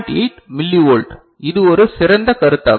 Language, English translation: Tamil, 8 millivolt ok, which is a better proposition